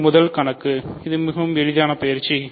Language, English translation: Tamil, So, this is the very easy exercise